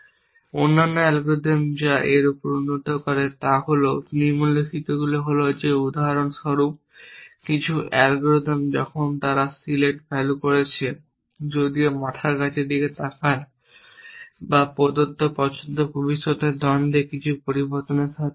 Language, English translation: Bengali, The other algorithm which improve upon that do the following is that for example, some algorithms when they are doing select value though look head to see whether or given choice will in future conflicts with some vary variable essentially